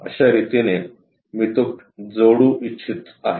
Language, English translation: Marathi, This is the way, I would like to really connect it